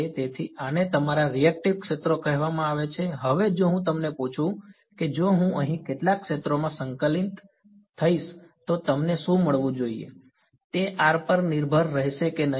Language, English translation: Gujarati, So, these are called your reactive fields, now if I ask you if I integrate over some sphere over here what should you get, will it be r dependent or not